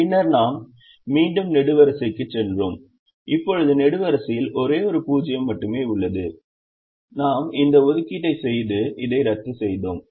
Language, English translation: Tamil, so if i look at the first column, the first column has only one zero and therefore i can make an assignment here